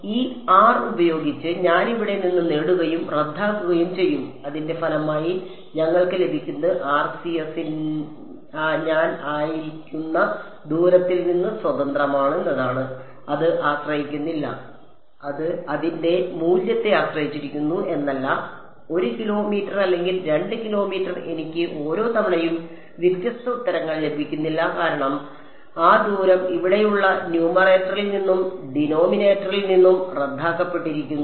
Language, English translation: Malayalam, I will get rho and that rho cancels of with this r over here as a result what we will get is that the RCS is independent of the distance at which I am it does not depend, it is not that it depends on the value of it is 1 kilometer or 2 kilometer I do not get different answers each time because that distance has cancelled of from the numerator and denominator over here